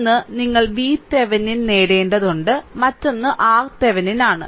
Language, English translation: Malayalam, This is your V Thevenin and this is your R Thevenin right, this is your R Thevenin